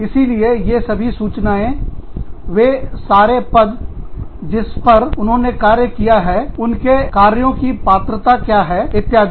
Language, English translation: Hindi, So, all that data, the positions, they have worked in, what their jobs have entailed, etcetera